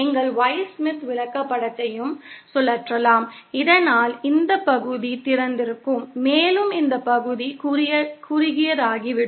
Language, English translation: Tamil, And you can also rotate the Y Smith chart so that this part becomes open and this part becomes short